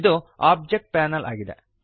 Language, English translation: Kannada, This is the Object Panel